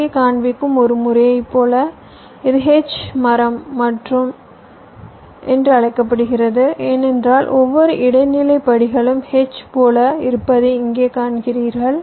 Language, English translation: Tamil, like one method i am showing here this is called h tree because you see every intermediate steps look like a h, so the clock generated is the middle